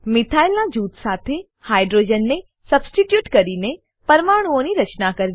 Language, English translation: Gujarati, * Build molecules by substituting hydrogen with a Methyl group